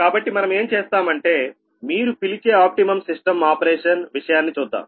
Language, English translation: Telugu, that is the objective of this, what you call of your optimum system operation